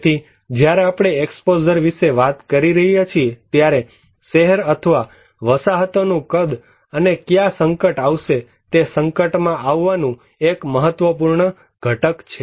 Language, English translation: Gujarati, So, when we are talking about the exposure, the size of the city or the settlements and where this hazard will take place is one important component of exposure